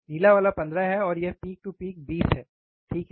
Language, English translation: Hindi, The blue one is 15 and this one so, peak to peak is 20, alright